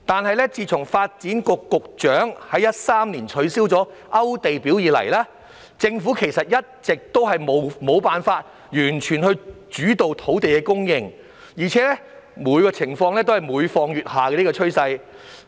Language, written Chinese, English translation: Cantonese, 然而，自發展局局長在2013年取消"勾地表"以來，政府其實一直無法完全主導土地供應，而情況有每況愈下的趨勢。, However so far since the Secretary for Development abolished the Application List system in 2013 the Government has failed to fully take the lead in land supply and the situation is deteriorating